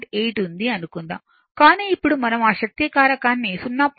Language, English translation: Telugu, 8 but now we want to that power factor to 0